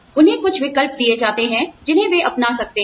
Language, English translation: Hindi, They are given a few choices, that they can take up